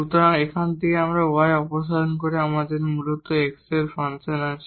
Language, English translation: Bengali, So, by removing this y from here we have basically this function of x